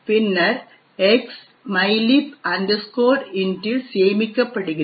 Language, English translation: Tamil, Then X is stored into mylib int